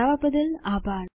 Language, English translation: Gujarati, Thanks for joining us.